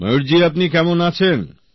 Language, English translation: Bengali, Mayur ji how are you